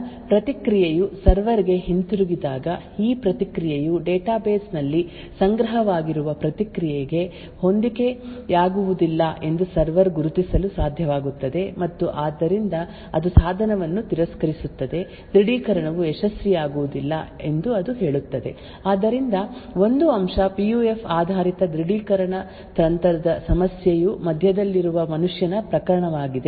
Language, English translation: Kannada, Therefore when the response goes back to the server, the server would be able to identify that this response does not match the response stored in the database and therefore it would reject the device, it would say that the authentication is not successful, so one aspect that is an issue with PUF based authentication technique is the case of the man in the middle